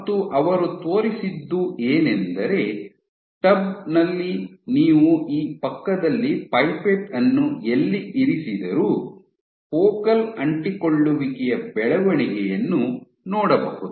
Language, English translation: Kannada, And he showed that, in tub you can see that wherever you put the pipette next to this you see growth of focal adhesions